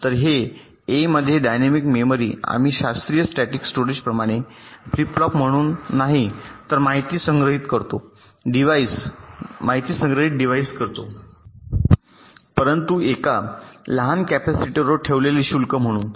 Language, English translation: Marathi, so in a dynamic memory we store the information not as a flip flop as in a classical statics storage device, but as the charge stored on a tiny capacitor